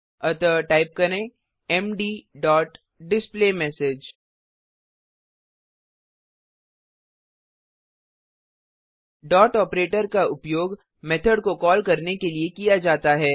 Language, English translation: Hindi, So type md dot displayMessage The Dot operator is used to call the method